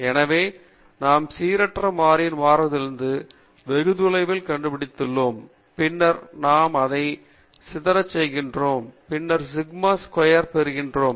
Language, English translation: Tamil, So we are finding the deviation of the random variable from the mean, and then we are squaring it, and then we get sigma squared